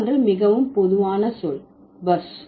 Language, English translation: Tamil, And the very common word is buzz